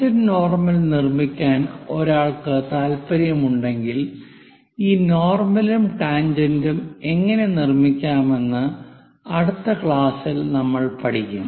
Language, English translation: Malayalam, If one is interested in constructing tangent normal, we will see in the next class how to construct this normal and tangent